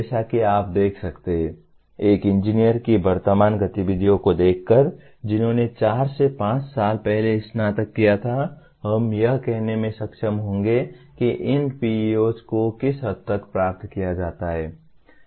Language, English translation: Hindi, As you can see, looking at the present activities of an engineer who graduated four to five years earlier we will be able to say to what extent these PEOs are attained